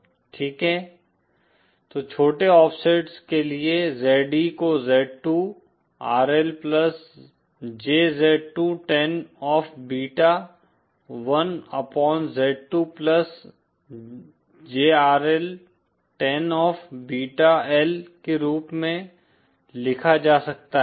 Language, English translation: Hindi, Okay, then for small offsets the ZE can be written as Z2 RL plus JZ2 tan of beta l Upon Z2 plus JRL tan of Beta L with Z2 being the square root of Z1 and RL